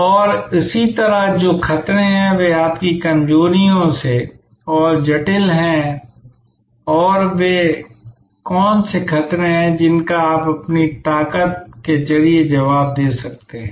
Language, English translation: Hindi, And, similarly what are the threats, that are further complicated by your weaknesses and what are the threats that you can respond to well by using your strength